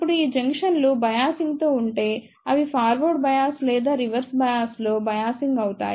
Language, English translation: Telugu, Now, if these junctions are biased, they can be biased either in forward bias or in reverse bias